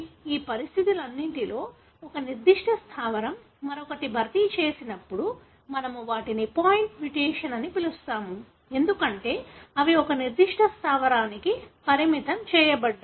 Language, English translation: Telugu, All these conditions wherein one particular base is replaced by other we call them as point mutation, because they are restricted to a particular base